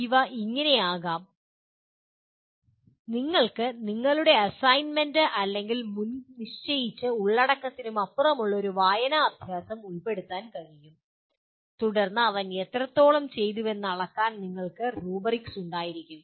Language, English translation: Malayalam, They can be, that I,s you can incorporate some kind of your assignment or a reading exercise that goes beyond the predetermined content and then you can have rubrics to measure that to what extent he has done